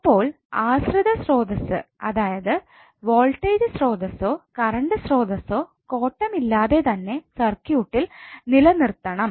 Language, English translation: Malayalam, So dependent source may be voltage or current source should be left intact in the circuit